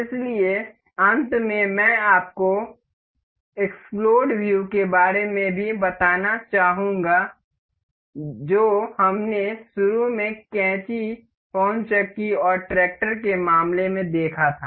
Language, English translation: Hindi, So, in the end, I would like to also tell you about explode view that we initially saw in the case of scissors, the wind the windmill and the tractor